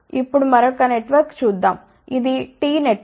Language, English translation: Telugu, Now, let us see another network, which is a T Network